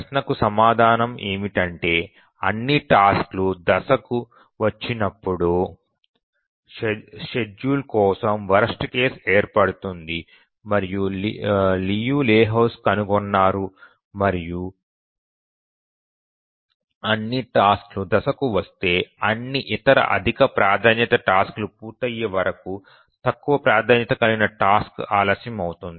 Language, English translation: Telugu, The answer to that question is that Liu Lehuzki found that the worst case condition for schedulability occurs when all the tasks arrive in phase and that is the time if all tasks arrive in phase then the lowest priority task will get delayed until all other higher priority tasks complete